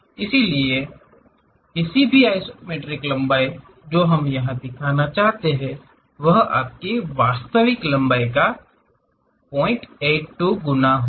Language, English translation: Hindi, So, any isometric length whatever we are going to represent, that will be 0